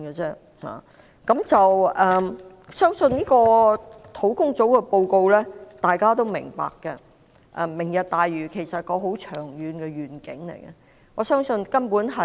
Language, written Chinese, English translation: Cantonese, 相信專責小組的報告，大家都是明白的，而"明日大嶼"是一個很長遠的願景，我相信根本是......, I believe that the Task forces report is comprehensible to all and Lantau Tomorrow is a very long - term vision which I think is fundamentally Let us give some thoughts to it